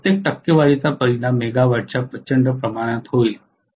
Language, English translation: Marathi, Because the impact of every percentage will be huge amount of megawatt that is the reason